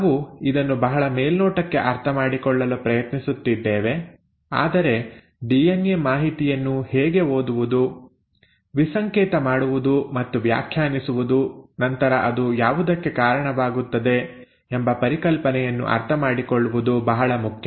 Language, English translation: Kannada, So we are trying to understand it at a very superficial level but it is important to understand the concept as to how the DNA information is read, decoded and interpreted and then what does it lead to